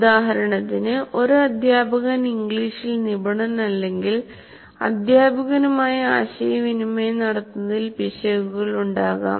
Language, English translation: Malayalam, For example, if a teacher is not very fluent in English, there can be errors in communicating by the teacher